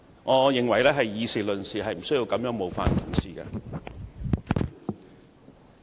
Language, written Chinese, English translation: Cantonese, 我認為大家議事論事，無需這樣冒犯議員。, I think we should limit our debate to the facts . There is no need to offend another Member like that